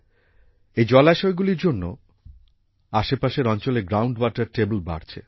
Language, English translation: Bengali, Due to these ponds, the ground water table of the surrounding areas has risen